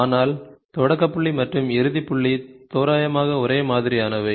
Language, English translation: Tamil, But the start point and end point are approximately the same